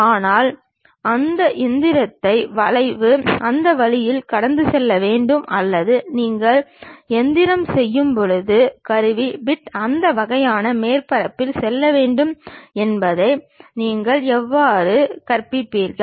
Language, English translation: Tamil, But, how will you teach it to that machine the curve has to pass in that way or the tool bit when you are machining it has to go along that kind of surface